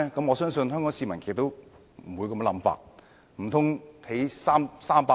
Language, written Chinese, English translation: Cantonese, 我相信香港市民亦不會有這種想法。, I believe members of the public in Hong Kong will not hold such an idea